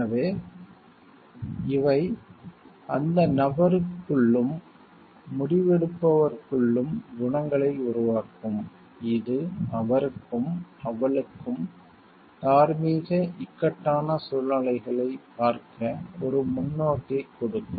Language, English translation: Tamil, So, these will generate qualities within the person within the decision maker, which will give him and her a perspective to look at moral dilemmas in such a way